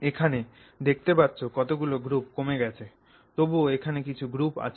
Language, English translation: Bengali, So you can see the number of groups here has decreased